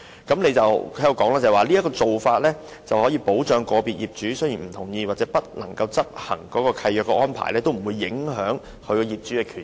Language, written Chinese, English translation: Cantonese, 據局長所稱，"這做法能確保即使個別業主不同意或不能執行續契安排，仍不會影響其他業主的權益。, According to the Secretary [t]his will ensure that even if individual owners do not agree with or cannot execute the lease extension arrangement the interests of other owners will not be affected